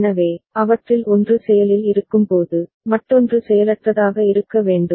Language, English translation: Tamil, So, when one of them is active, the other one should be inactive